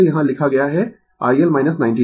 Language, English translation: Hindi, It is written here I L minus 90 degree